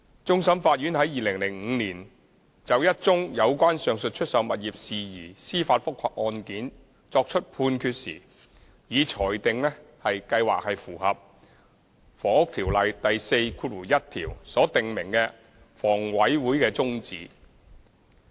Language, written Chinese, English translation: Cantonese, 終審法院在2005年就一宗有關上述出售物業事宜司法覆核案件作出判決時，已裁定計劃符合《房屋條例》第41條所訂明的房委會的宗旨。, When handing down its Judgment in 2005 on a judicial review case regarding the aforesaid sale of properties the Court of Final Appeal CFA affirmed that the plan was consistent with HAs objective as laid down in section 41 of the Housing Ordinance